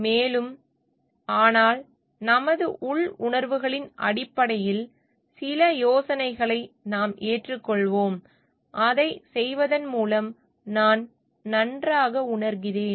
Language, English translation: Tamil, And, but we will just adopt some ideas based on our inner feelings I feel good by doing it